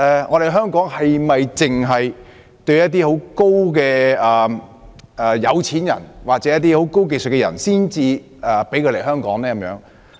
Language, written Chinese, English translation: Cantonese, 可是，香港是否只批准某些有錢人或擁有高技術人士來港呢？, But are wealthy people or highly - skilled talents the only persons allowed to come to Hong Kong?